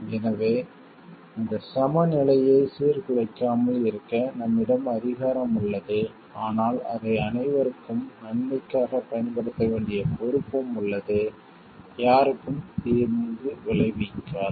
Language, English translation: Tamil, So, that this balance is not disturbed, we have power but we have responsibility also to use it for the good of all and not to provide harm to any